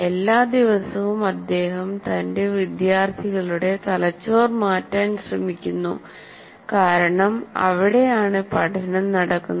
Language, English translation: Malayalam, Every day he is trying to change the brain of his students because that is where the learning takes place